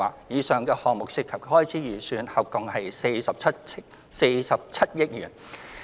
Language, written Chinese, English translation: Cantonese, 以上項目涉及的開支預算合共約47億元。, The total budget of the above Programmes amounts to around 4.7 billion